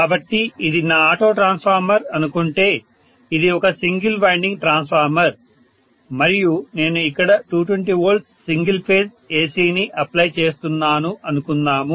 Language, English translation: Telugu, So let us say this is my auto transformer which is a single winding transformer and let us say I am applying 220 V AC single phase here, right